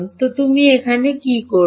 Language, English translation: Bengali, So, what would you do